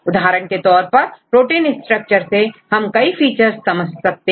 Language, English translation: Hindi, For example, what are the various features you can derive from the protein structures